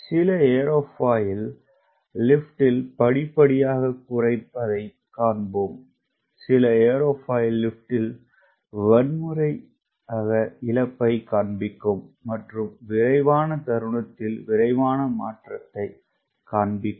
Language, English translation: Tamil, you will find some aerofoil will show gradual reduction in lift and some aerofoil will show violent loss of lift and rapid change in pitching moment